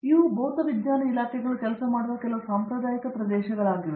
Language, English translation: Kannada, These are some traditional areas that physics departments work with